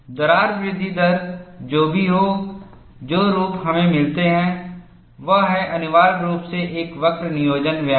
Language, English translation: Hindi, Whatever the crack growth rate curve, the form that we get, it is essentially a curve fitting exercise